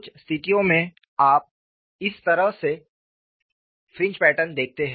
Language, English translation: Hindi, In certain situations, you see fringe patterns like this